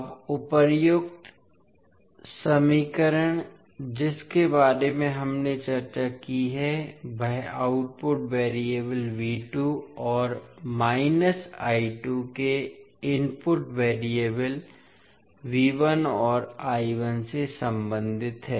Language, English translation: Hindi, Now, the above equation which we discussed relate the input variables V 1 I 1 to output variable V 2 and minus I 2